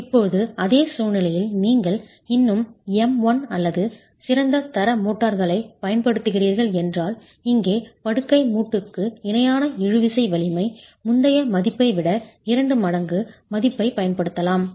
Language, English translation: Tamil, Now in the same situation, if you are still using M1 or better grade motors, then the tensile strength parallel to the bed joint here you can use a value twice the earlier value